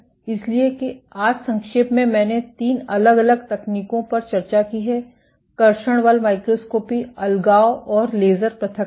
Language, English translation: Hindi, So, that just to summarize today I have discussed three different techniques; traction force microscopy, deadhesion and laser ablation